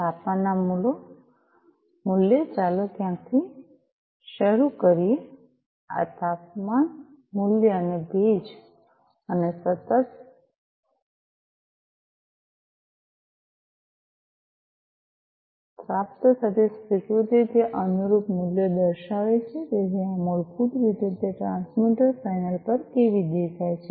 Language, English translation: Gujarati, The temperature value let us start from somewhere this temperature value, and the humidity, and the acknowledgment received continuously, you know, it is showing the corresponding values, you know so this is basically how it looks like at the at the transmitter panel